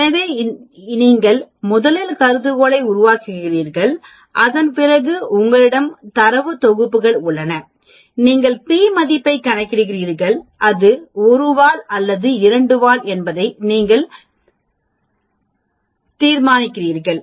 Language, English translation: Tamil, So, you create the hypothesis first and then after that you have the data sets, you calculate the p value, then you decide on whether it is a one tail or two tail, I did talk about these tails also